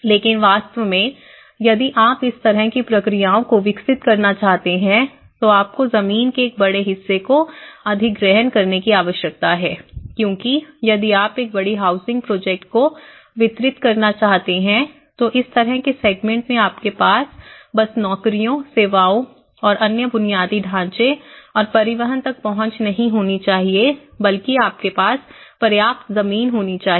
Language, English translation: Hindi, But in reality, if you want to develop this kind of the processes, you need to acquire a large portions of land because if you want to deliver a huge housing project you need to have ample of land to have that kind of segment not only that you need to have access to the jobs, services and another infrastructure and transportation